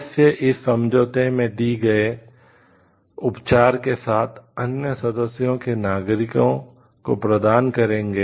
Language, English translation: Hindi, Members shall accord the treatment provided for in this agreement to the nations of other members